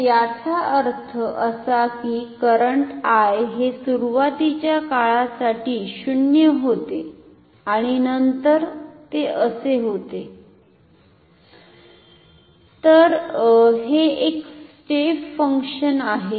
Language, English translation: Marathi, So; that means, I was 0 for some time initially and then it becomes like this, so this is a step function ok